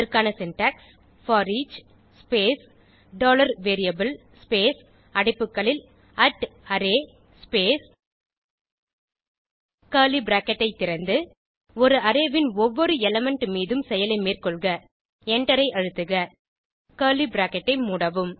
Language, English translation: Tamil, The syntax is: foreach space dollar variable space within brackets at the rate array space open curly bracket perform action on each element of an array Press Enter Close the curly bracket